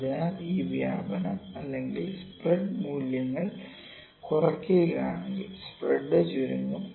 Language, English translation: Malayalam, So, if this dispersion or spread the values reduce the spread would be contracted